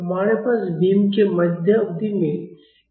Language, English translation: Hindi, We have a force F at the mid span of the beam